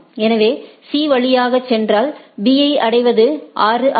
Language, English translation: Tamil, So, in order via C if it goes, reaching B is 6